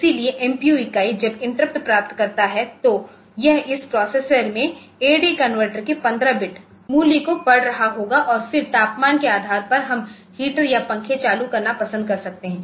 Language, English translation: Hindi, So, it will be it will be it will be reading this 15 bit value of the AD converter into this processor and then after depending upon the temperature we may like to turn on the heater or turn on the fan